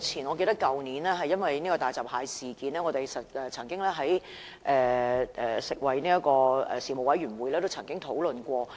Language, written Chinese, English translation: Cantonese, 我記得在去年發生大閘蟹事件後，大家亦曾在食物安全及環境衞生事務委員會進行相關的討論。, I remember that subsequent to last years hairy crab incident similar discussions had also been conducted by the Panel on Food Safety and Environmental Hygiene